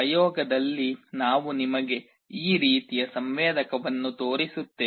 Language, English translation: Kannada, In the experiment we will be showing you this kind of a sensor